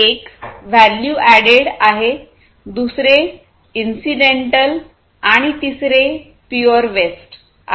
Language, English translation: Marathi, One is value added; second is incidental, and pure waste